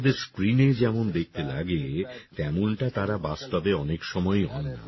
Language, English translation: Bengali, Actors are often not what they look like on screen